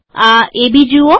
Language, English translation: Gujarati, See this AB